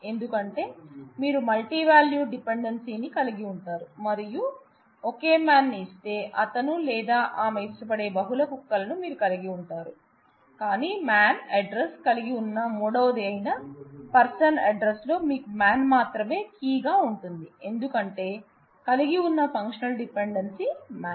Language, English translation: Telugu, Because you just have the multivalued dependency and given the same man, you will have multiple dogs whom he or she likes, but in the third one in the person address where you have man and address you have only man as the key, because man is a functional dependency that holds